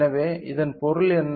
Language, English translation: Tamil, So, what it means